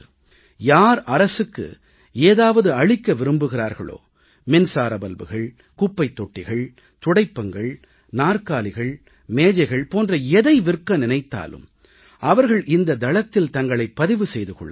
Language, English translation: Tamil, Whoever wants to supply any item to the government, small things such as electric bulbs, dustbins, brooms, chairs and tables, they can register themselves